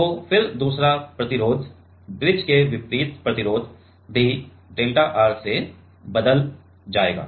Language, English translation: Hindi, So, then the other resistance the opposite resistance of the bridge will also changed by delta R